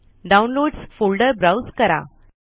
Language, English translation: Marathi, Browse to Downloads folder